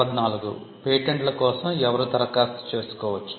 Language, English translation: Telugu, Who can apply for patents